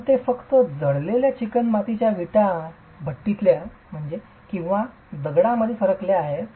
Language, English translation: Marathi, But it simply moved into the burnt clay brick or stone